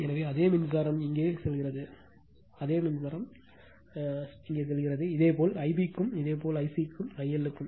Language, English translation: Tamil, So, same current is going here, same current is going here, similarly for the similarly for I b also and similarly for I c also I L also